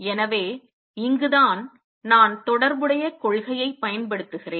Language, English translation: Tamil, So, this is where I am using the correspondence principle